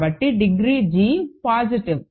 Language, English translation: Telugu, So, degree g is positive